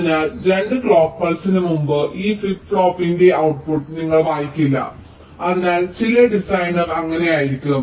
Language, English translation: Malayalam, ok, so you will not be reading out the output of this flip flop before two clock wises